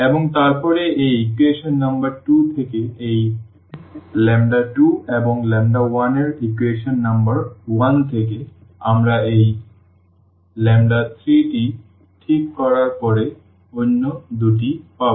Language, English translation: Bengali, And then this lambda 2 and lambda 1 from this equation number 2 and from the equation number 1 we will get the other 2 once we fix this lambda 3